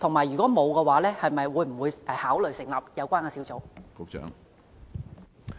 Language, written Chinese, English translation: Cantonese, 如果沒有，會否考慮成立有關的小組？, If the authorities have not whether they will consider establishing such a concern group?